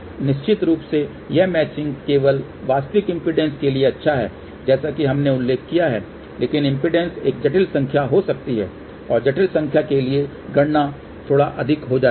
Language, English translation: Hindi, Now of course, this matching is only good for real impedance as we mention but impedance can be a complex number and for complex number, calculations become little bit more involved